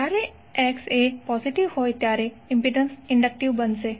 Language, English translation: Gujarati, Now impedance is inductive when X is positive